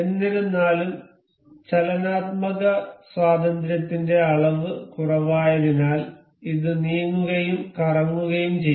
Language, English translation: Malayalam, However, because of a loose degree of motion degree of freedom this can move and can rotate as well